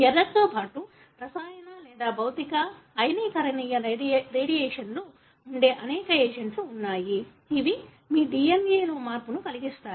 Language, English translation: Telugu, In addition to being error, there are many agents which could be chemical or physical, ionizing radiations, which can cause change in your DNA